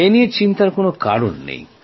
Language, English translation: Bengali, Not to worry